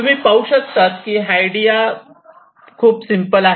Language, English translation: Marathi, see, the idea is simple